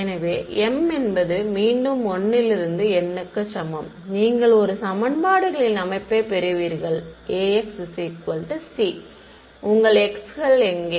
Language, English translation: Tamil, So, repeat for m is equal to 1 to N and you get a system of equations, A x is equal to we will call it c and where your x’s are what